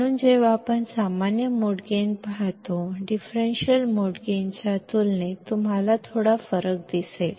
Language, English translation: Marathi, So, when we see common mode gain; you will see a little bit of difference when compared to the differential mode gain